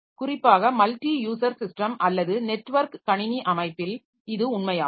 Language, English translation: Tamil, So, this is particularly true when we have got multi user system or a networked computer system